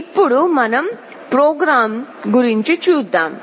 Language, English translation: Telugu, Now let us look at the program